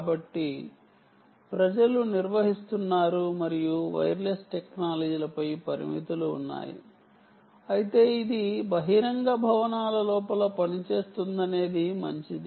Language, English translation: Telugu, so people are managing and there are limitations on wireless technologies, but the fact that it works inside buildings, outdoor is good